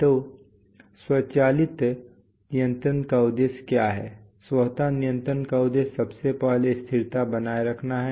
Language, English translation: Hindi, So what is the objective of automatic control, the objective of automatic control is firstly to maintain stability